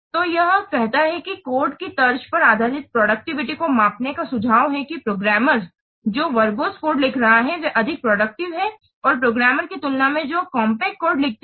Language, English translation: Hindi, So it says that measure of the productivity based on line shape code is suggest that the programmers who are writing verbose code, they are more productive and than the programmers who write compact code